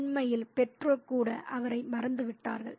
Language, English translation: Tamil, In fact, even the parents have forgotten him